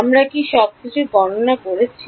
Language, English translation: Bengali, Have we calculated everything